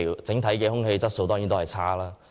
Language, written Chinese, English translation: Cantonese, 整體空氣質素當然差。, The overall air quality is certainly poor